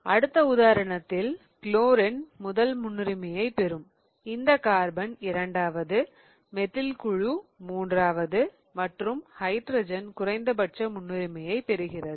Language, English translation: Tamil, So, the top carbon gets the priority one, then this will be second, then the methyl group third and then hydrogen is the fourth priority